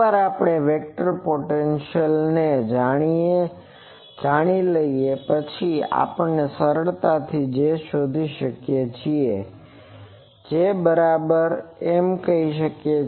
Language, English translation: Gujarati, Once we know the vector potential we can easily find J so that will be